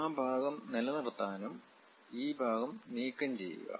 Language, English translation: Malayalam, And we would like to retain that part and remove this part